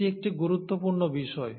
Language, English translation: Bengali, Now this is a crucial point